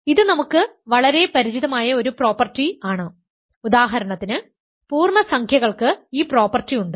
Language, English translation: Malayalam, This is a very familiar property for us for example, integers have this property